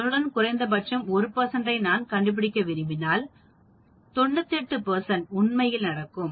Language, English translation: Tamil, If I want to find at least 1 percent with that, 98 percent will happen actually